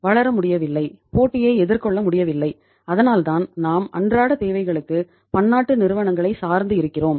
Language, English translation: Tamil, Could not grow, could not face the competition and because of that say uh we are still dependent upon the multinational companies for most of our day to day requirements